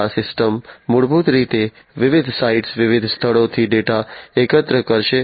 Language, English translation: Gujarati, So, these systems basically would collect the data from different sites, different locations